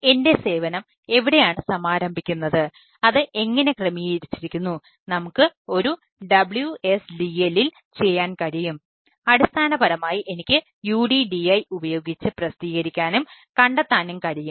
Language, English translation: Malayalam, so where, where, where my service is launched, how it is configured, so i we can do at a wsdl and basically i can publish and discover using a uddi